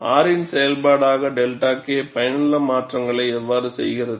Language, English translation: Tamil, As a function of R, how does delta K effective changes